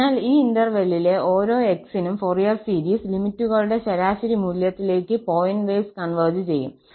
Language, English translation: Malayalam, So, for each x in this interval, the Fourier series converges pointwise to average value of the limits